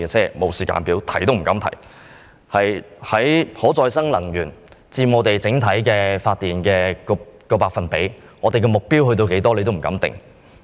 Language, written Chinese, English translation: Cantonese, 不但沒有時間表，連提也不敢提，連可再生能源佔整體發電的百分比及目標為何。, The Secretary not only has not set the timetable but even dares not propose such tasks as well as the percentage and target of renewable energy to the total electricity generated